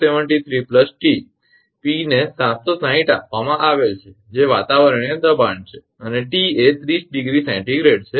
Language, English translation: Gujarati, 392 p upon 273 plus t p is given 760 that is atmospheric pressure and t is 30 degree celsius